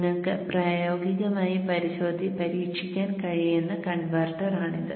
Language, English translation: Malayalam, So this is a converter that you can practically try out